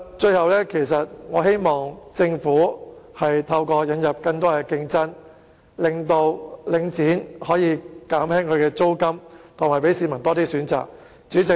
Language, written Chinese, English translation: Cantonese, 最後，我希望政府透過引入更多競爭，使領展減低租金，讓市民有更多選擇。, Lastly I hope the Government can through introducing more competition prompt Link REIT to reduce rents and thus provide the public with more choices